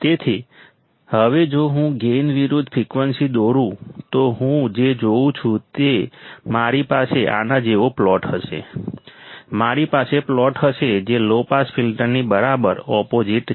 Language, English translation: Gujarati, So, now if I draw a gain versus frequency what I see is that I will have a plot like this, I will have a plot which is which is exactly opposite to that of a low pass filter